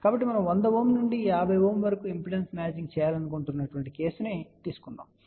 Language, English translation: Telugu, So, we will take a case where we want to do impedance matching from 100 Ohm to 50 Ohm